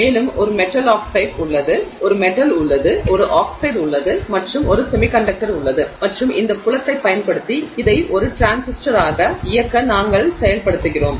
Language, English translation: Tamil, And there is a metal oxide there, there's a metal, there's an oxide and there's a semiconductor and using the field we are enabling this to operate as a transistor